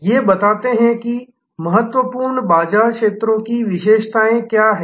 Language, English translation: Hindi, These points that, what are the characteristics of important market segments